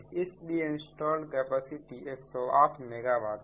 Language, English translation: Hindi, so installed capacity is hundred eight megawatt right